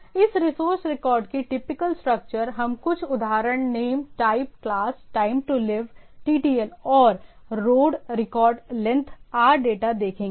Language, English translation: Hindi, So, typical structure of this resource record we will see some example name, type, class, TTL time to live, and RD rec RD length, RData